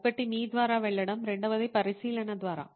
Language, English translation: Telugu, One was to go through yourself, the second was through observation